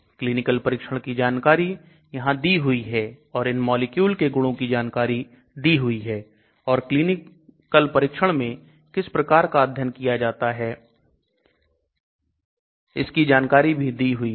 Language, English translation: Hindi, So some clinical trials, details are being given here and then some of the properties of these molecule and then what type of studies are being done in clinical trials